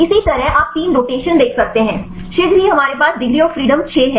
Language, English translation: Hindi, So, likewise you can see 3 rotations shortly we have 6 degrees of freedom right